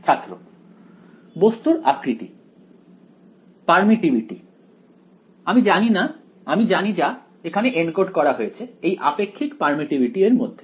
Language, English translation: Bengali, Object shape, permittivity; I know which is all encoded into the relative permittivity right